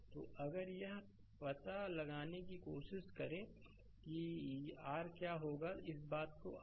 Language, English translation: Hindi, So, if you try to find out what will be your this thing i 1